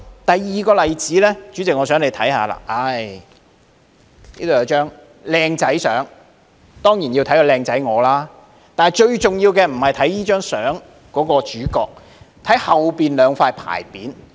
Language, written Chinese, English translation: Cantonese, 第二個例子，代理主席，我想你可以看看這張相片，當中有我俊俏的樣子，但最重要的並不是相中的主角，而是後面的兩塊牌匾。, For the second example Deputy President I want you to look at this photo . You can find me standing handsomely in this photo but the focus is not on me but on the two inscribed boards hanging behind me